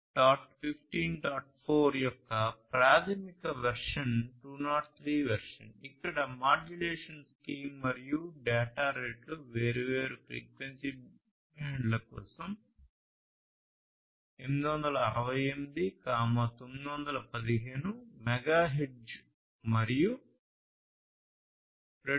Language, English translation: Telugu, The basic version is the 2003 version, where the modulation scheme and data rates were fixed for different frequency bands as 868, 915 megahertz and 2